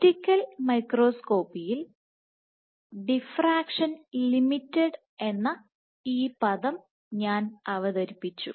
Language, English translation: Malayalam, So, we know from in optical microscopy right, I had introduced this term called diffraction limited